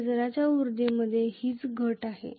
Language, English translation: Marathi, This is what is the reduction in the field energy